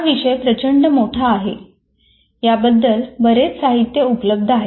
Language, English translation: Marathi, The subject is vast and there is a lot of literature on that